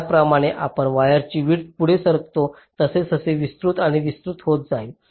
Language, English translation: Marathi, so as we move up, the width of the wires also will be getting wider and wider